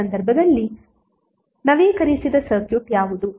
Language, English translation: Kannada, So what will be the updated circuit in that case